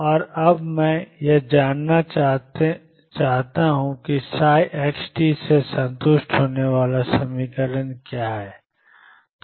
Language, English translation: Hindi, And we want to now discover what is the equation satisfied by psi x t